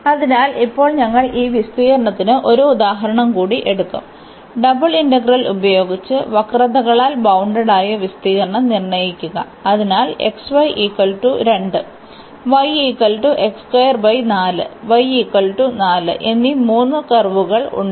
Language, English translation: Malayalam, So, now we will take one more example for the area, where we want to again use the double integral and determine the area bounded by the curves xy is equal to 2